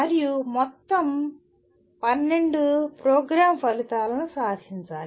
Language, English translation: Telugu, And all the 12 program outcomes have to be attained